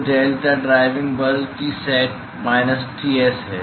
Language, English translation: Hindi, So, deltaT the driving force is Tsat minus Ts